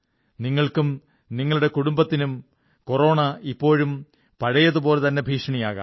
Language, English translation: Malayalam, You, your family, may still face grave danger from Corona